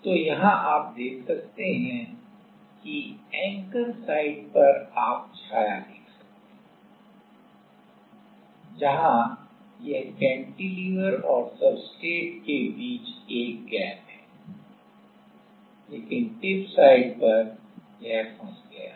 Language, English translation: Hindi, So, here you can see that the anchor site it is you can see the shadow, where it is like there is a gap in between the cantilever and the substrate, but at the tip site it is stuck